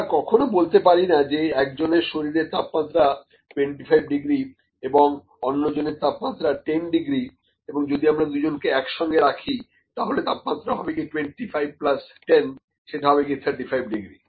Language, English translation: Bengali, We cannot say that if the temperature of one body is maybe 25 degree another body is 10 degree if we keep them together the temperature will be 25, plus 10 it would be 35 degrees